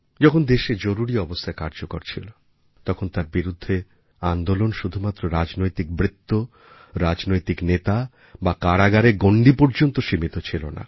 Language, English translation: Bengali, When Emergency was imposed on the country, resistance against it was not limited to the political arena or politicians; the movement was not curtailed to the confines of prison cells